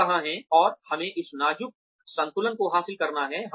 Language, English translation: Hindi, Where do we, and we have to achieve this delicate balance